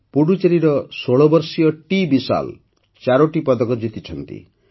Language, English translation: Odia, 16 year old TVishal from Puducherry won 4 medals